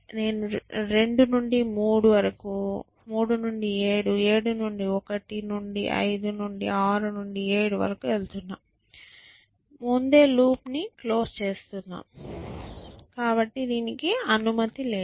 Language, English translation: Telugu, I am going from 2 to 3 to 7 to 1 to 5 to 6 to 7, you can see I have closed the loop even before, I am not allowed to that